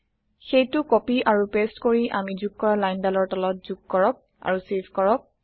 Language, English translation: Assamese, Let us copy and paste that and add it just below the line we added and save it